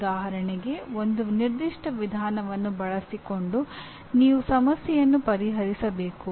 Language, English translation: Kannada, Like for example using a certain procedure you should solve the problem